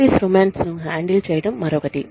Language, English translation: Telugu, Handling office romance, is another one